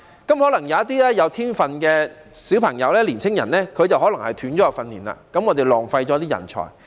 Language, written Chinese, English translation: Cantonese, 因此，一些具天分的小朋友或年青人可能會中斷訓練，這樣便浪費人才。, As a result some talented children or young people may discontinue their training and talents are thus wasted